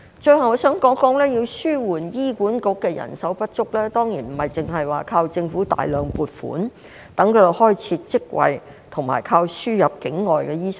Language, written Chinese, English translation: Cantonese, 最後，我想談談，要紓緩醫管局的人手不足，當然不只靠政府大量撥款，待它開設職位及依靠輸入境外醫生。, Lastly I would like to say that to alleviate the shortage of manpower in HA we must not only rely on the Government for its massive funding creation of posts and admission of NLTDs